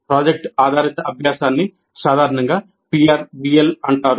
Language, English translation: Telugu, Project based learning is generally called as PRBL